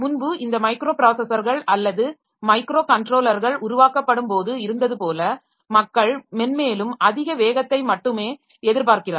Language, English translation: Tamil, So, like previously when this microprocessors and microcontrollers were being developed, so they are people who are looking for only higher and higher speed like that